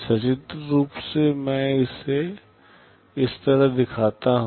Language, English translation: Hindi, Pictorially I show it like this